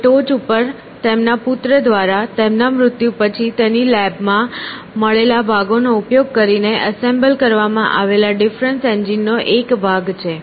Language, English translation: Gujarati, And, on the top is a part of a difference engine assembled after his death by his son, using parts found in his lab essentially